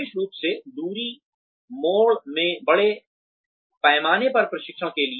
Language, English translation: Hindi, Especially, for mass training in distance mode